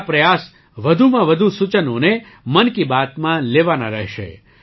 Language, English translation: Gujarati, My effort will be to include maximum suggestions in 'Mann Ki Baat'